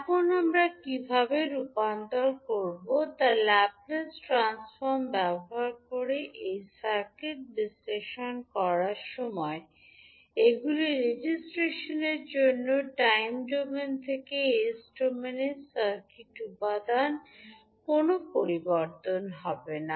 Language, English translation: Bengali, Now, while doing this circuit analysis using laplace transform how we will transform, these are circuit elements from time domain to s domain for register it, there will not be any change